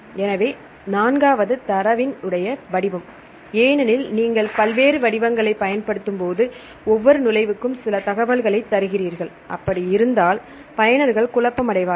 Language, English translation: Tamil, So, in the fourth one is the format of the data because for each entry you give some information if you use various format, then the users will be confused